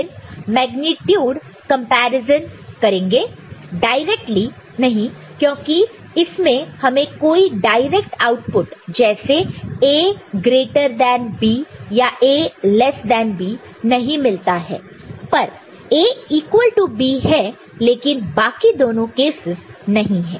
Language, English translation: Hindi, So, then magnitude comparison not directly because there is you know, there is no direct output as A greater than B or A less than B; A equal to B is there, but not the other cases